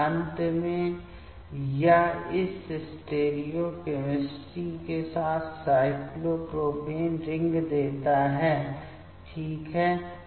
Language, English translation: Hindi, And finally, that gives the cyclopropane ring with this stereochemistry ok